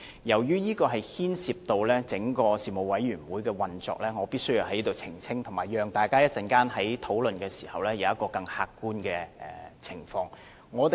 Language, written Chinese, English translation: Cantonese, 由於這會牽涉到整個事務委員會的運作，我必須在此澄清，以及讓大家能在稍後作出較為客觀的討論。, As this has something to do with the overall operation of the Panel it is incumbent upon me to make clarification here so as to facilitate a more objective discussion among Members later on